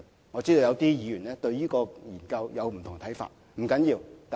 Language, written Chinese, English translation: Cantonese, 我知道有些議員對這項研究有不同的看法，這不要緊。, I know that some Members hold different views on this study; that is no big deal